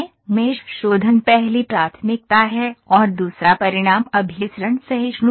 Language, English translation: Hindi, Mesh refinement is the first priority and second is results convergence tolerance